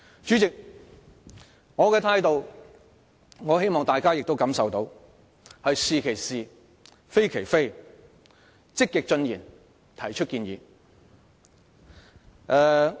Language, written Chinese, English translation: Cantonese, 主席，我希望大家感受到我的態度是"是其是，非其非"，積極進言，提出建議。, President I hope Members can feel that I am actively expressing my views and making suggestions with the attitude of saying what is right as right and denouncing what is wrong as wrong